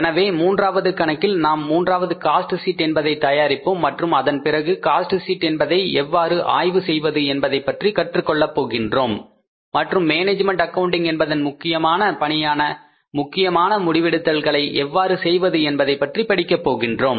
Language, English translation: Tamil, So we will prepare the third cost sheet, third problem we will do, and then after that we will learn about how to analyze the cost sheet and how to arrive at the important decision making, which is the subject matter of management accounting